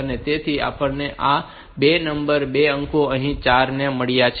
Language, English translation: Gujarati, So, we have got these 2 number 2 digits here 4 and 2